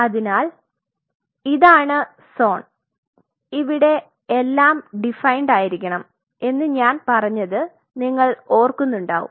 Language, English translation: Malayalam, So, this is the zone you remember I told you there has to be everything defined